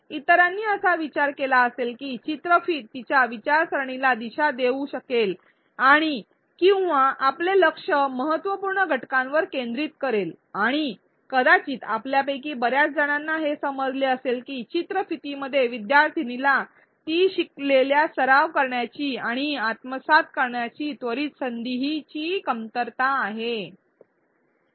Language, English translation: Marathi, Others may have thought that the video lack prompts that could have guided her thinking and or focused our attention on the important elements and perhaps many of you may have realized that the video lacked immediate opportunities for the student to practice and assimilate what she learned